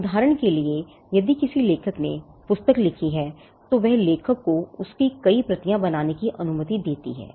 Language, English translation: Hindi, For instance, if it is a book written by an author the fact that the author wrote the book allows the author to make multiple copies of it